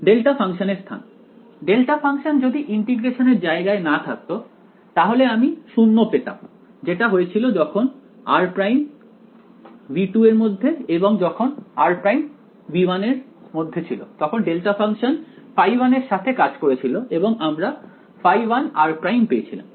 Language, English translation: Bengali, Because of location of the delta function; if the delta function was not in the region of integration then I got a 0 which happened when r prime was in V 2 right and when r prime was in V 1 then the delta function acted with phi 1 and I got phi 1 r prime right